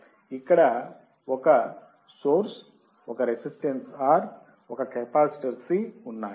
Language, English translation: Telugu, There is the source,a resistor R, a capacitor C